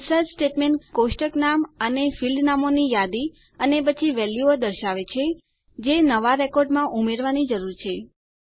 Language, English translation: Gujarati, The INSERT statement lists the table name and the field names and then the Values that need to go into the new record